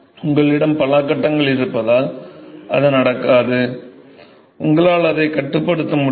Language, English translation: Tamil, That does not happen because you have multiple phases here, you cannot control that